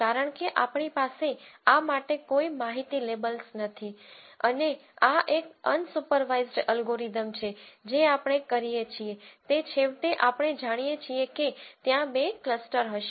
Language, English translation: Gujarati, Because we have no information labels for these and this is an unsupervised algorithm what we do is we know ultimately there are going to be two clusters